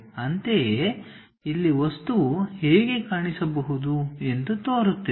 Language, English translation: Kannada, Similarly, here it looks like this is the way the object might look like